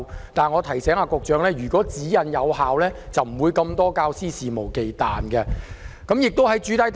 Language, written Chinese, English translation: Cantonese, 然而，我提醒局長，如果指引有效，就不會出現眾多肆無忌憚的教師。, However I would like to remind the Secretary that had the guidelines been effective there would not have been so many emboldened teachers